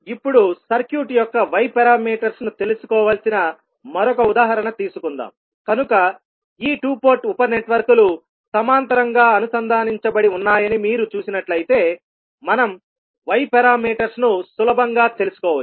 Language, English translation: Telugu, Now, let us take another example where we need to find out the Y parameters of the circuit, so if you see these two port sub networks are connected in parallel so we can easily find out the Y parameters